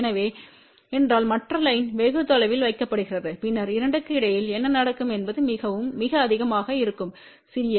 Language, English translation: Tamil, So, if the other line is put far away then what will happen the coupling between the 2 will be very, very small